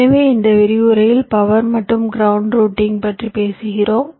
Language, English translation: Tamil, ok, so in this lecture we talk about power and ground routing